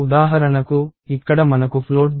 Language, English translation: Telugu, So, for example, here we have float B of 2, 4, 3